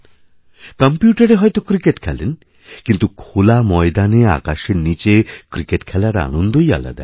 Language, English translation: Bengali, You must be playing cricket on the computer but the pleasure of actually playing cricket in an open field under the sky is something else